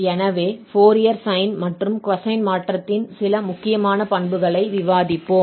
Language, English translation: Tamil, So, if we have the Fourier sine and cosine transform, we have the following identities